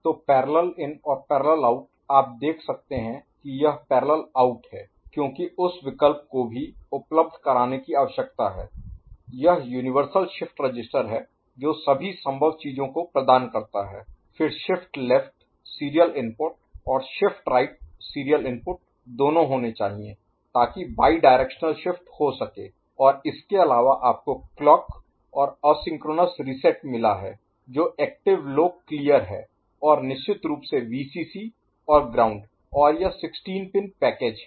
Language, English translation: Hindi, So, parallel in and parallel out, you can see this is parallel out because that option also need to be made available it is universal shift register all possible things, then shift left serial input and shift right serial input both the things need to be that can have bidirectional shift and other than that you have got clock and asynchronous reset, active low clear and of course, Vcc and ground and it is a 16 pin package is it ok, right